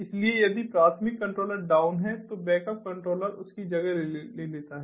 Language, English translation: Hindi, so if the primary controller is down, then the backup controller takes over